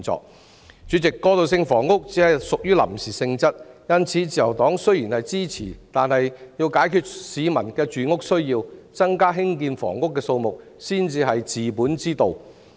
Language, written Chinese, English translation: Cantonese, 代理主席，過渡性房屋只屬於臨時性質，因此雖然自由黨予以支持，但要解決市民的住屋需要，增加興建房屋的數目才是治本之道。, Deputy President transitional housing is only temporary in nature so even if the Liberal Party gives its support in order to solve the housing needs of the people the fundamental solution is to increase the number of flats to be built